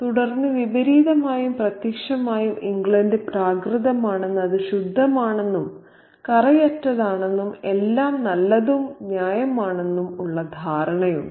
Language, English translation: Malayalam, And then by contrast and by implication, there is this understanding that England is pristine, that it is pure, that it is clean, that it is all good and fair